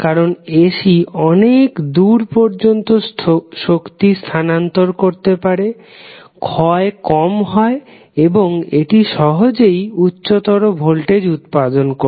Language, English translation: Bengali, Because AC was able to transfer the power at a longer distance, losses were less and it was easier to generate for a higher voltage